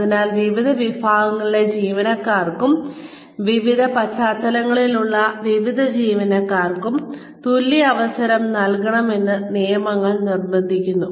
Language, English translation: Malayalam, So, laws mandate that, equal opportunity be afforded to, or be given to, various categories of employees, various employees from various backgrounds